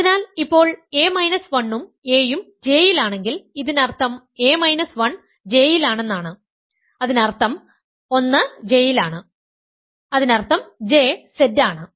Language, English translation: Malayalam, So, now if a minus 1 and a are both in J this means that a minus a minus 1 is in J; that means, 1 is in J; that means, J is Z right